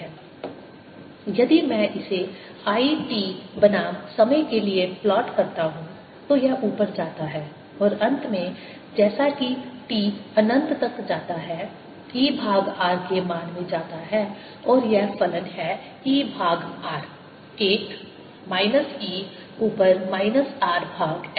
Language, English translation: Hindi, if i plot this i t versus time, it goes up and finally, as t goes to infinity, goes to the value of e over r, and this function is e over r